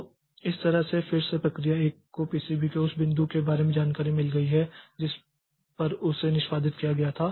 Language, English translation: Hindi, So, that way again the PCB of process one it has got the information about the point up to which it got executed